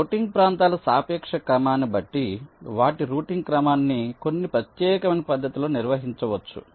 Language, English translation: Telugu, depending on the relative order of the routing regions, their order of routing can be determined in some particular way